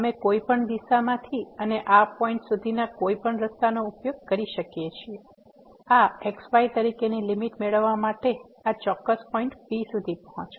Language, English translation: Gujarati, We can approach from any direction and using any path to this point to get the limit as approaches to this particular point P